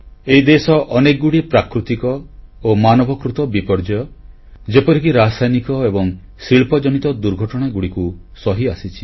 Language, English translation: Odia, As far as disasters are concerned, this country has borne the brunt of many a natural as well as man made disaster, such as chemical & industrial mishaps